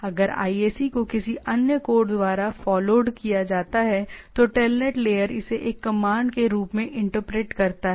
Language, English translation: Hindi, If IAC is followed by any other code, the TELNET layer interprets this as a command like